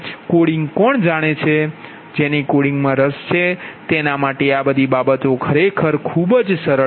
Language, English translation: Gujarati, those who knows coding and interested about all this thing in coding actually is easy